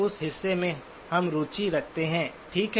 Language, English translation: Hindi, That part we are interested in, okay